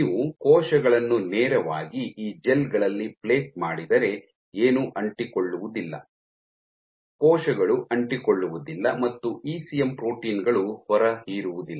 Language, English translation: Kannada, So, if you plate cells directly on these gels nothing will stick, cells won’t stick and your ECM proteins won’t adsorb